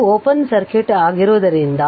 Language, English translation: Kannada, As this is your open circuit